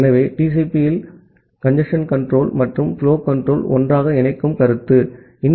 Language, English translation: Tamil, So, this is the notion of combining congestion control and flow control together in TCP